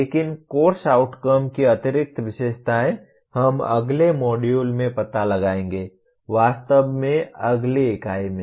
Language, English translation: Hindi, But the additional features of course outcomes we will explore in the next module, next unit actually